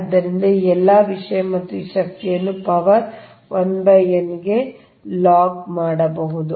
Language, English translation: Kannada, so log of all this thing and this power to the power, one upon n, right